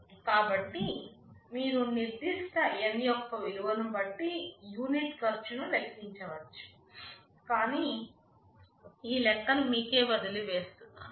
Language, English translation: Telugu, So, you can calculate the per unit cost for some particular value of N; well I leave it as an exercise for you